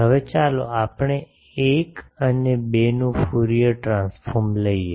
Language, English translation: Gujarati, Now, let us take Fourier transform of 1 and 2